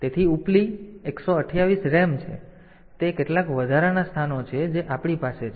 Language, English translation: Gujarati, So, for, that is some extra locations that we have